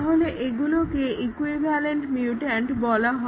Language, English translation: Bengali, So, these are called as equivalent mutants